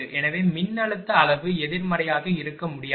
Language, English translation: Tamil, So, voltage magnitude cannot be negative